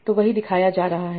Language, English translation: Hindi, So that is what is being shown